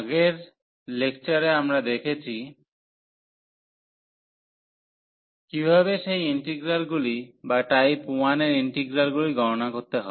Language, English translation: Bengali, In the last lecture we have seen how to evaluate those integrals or the integrals of a type 1